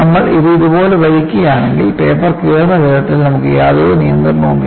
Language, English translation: Malayalam, If you pull it like this, you will have absolutely no control on the way separation of the paper will happen